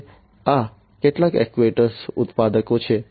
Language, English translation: Gujarati, These are some actuator manufacturers